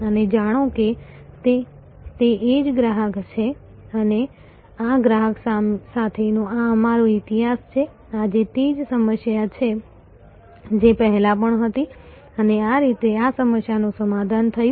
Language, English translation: Gujarati, And know, that it is the same customer and this is our history with this customer, this is what the problem that has been there before and that is how this problem was resolved